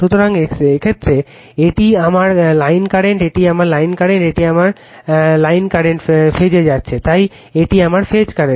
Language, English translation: Bengali, So, in this case, this is my line current, this is my line current, same current is going to this phase, so this is my phase current